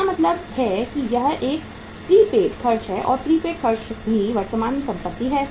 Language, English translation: Hindi, It means this is a prepaid expense and prepaid expenses are also assets